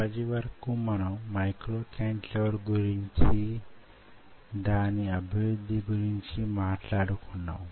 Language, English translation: Telugu, ok, so as of now, we have talked about the development of micro cantilever, how we do it